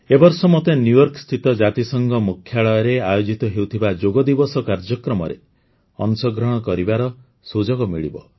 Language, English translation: Odia, Friends, this time I will get the opportunity to participate in the Yoga Day program to be held at the United Nations Headquarters in New York